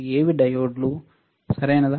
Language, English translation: Telugu, What are diodes, right